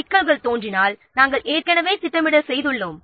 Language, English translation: Tamil, If the problems pop up then you have already done the planning